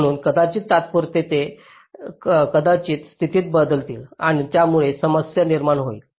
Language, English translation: Marathi, so temporarily they might, the status might change and that creates the problem, right